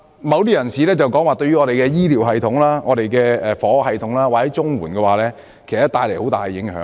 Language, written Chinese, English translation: Cantonese, 某些議員指，他們會對我們的醫療系統、房屋系統或綜合社會保障援助帶來很大影響。, Some Members claim that they have a great impact on our health care system housing system and the Comprehensive Social Security Assistance CSSA system